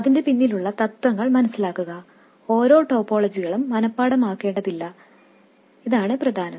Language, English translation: Malayalam, What is more important is to understand the principles behind them and not learn individual topologies by heart